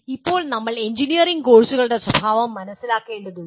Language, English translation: Malayalam, And now we need to understand the nature of engineering courses